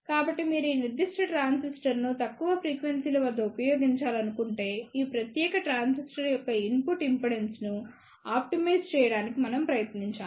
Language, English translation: Telugu, So, if you want to use this particular transistor at lower frequencies, we must try to optimize the input impedance of this particular transistor